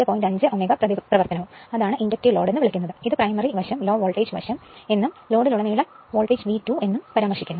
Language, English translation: Malayalam, 5 ohm reactance that is that your what you call inductive load, it is referred your primary side low voltage side and voltage across the load is V 2 dash